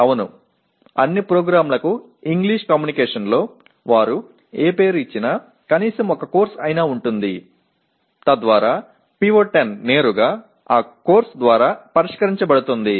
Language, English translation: Telugu, Yes, all programs have at least one course in English Communication whatever name they give but PO10 is directly addressed by that course